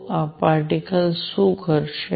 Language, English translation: Gujarati, So, what will this particle do